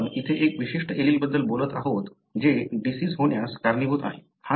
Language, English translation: Marathi, So, therefore here we are talking about a particular allele that is contributing to the disease